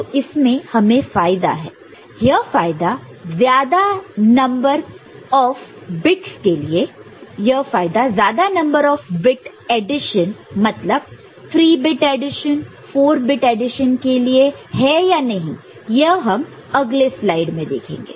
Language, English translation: Hindi, Whether this benefit is there for larger number of bit addition 3 bit, 4 bit let us see in the next slide